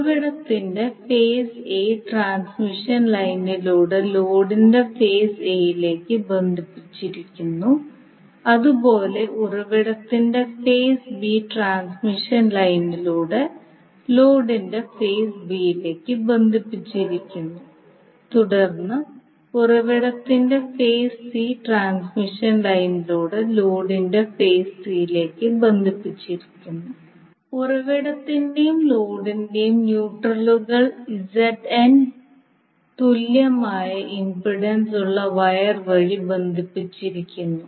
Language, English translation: Malayalam, So now the phase A of the source is connected to phase A of the load through transmission line, similarly phase B of the source is connected to phase B of the load through the transmission line and then phase C of the load is connected to phase C of the source through the transmission line